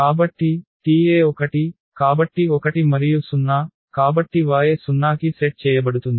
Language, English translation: Telugu, So, the T e 1, so 1 and 0, so y will be set to 0